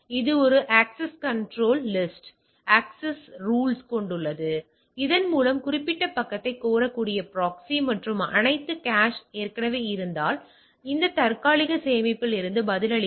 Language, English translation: Tamil, It has a access control list or access rules that by which the proxy that particular page can be requested and all the cache if it is already there, it will reply from the cache